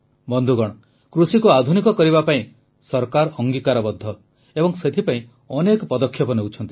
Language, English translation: Odia, Friends, the government is committed to modernizing agriculture and is also taking many steps in that direction